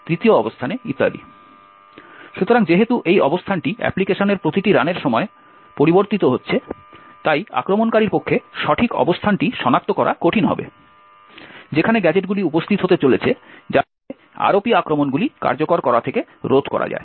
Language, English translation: Bengali, So, since this location are changing in every run of the application, it would be difficult for the attacker to identify the exact location where the gadgets are going to be present, thereby preventing the ROP attacks from executing